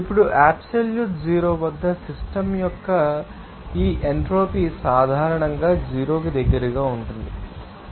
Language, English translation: Telugu, Now, this entropy of the system at absolute zero is typically close to zero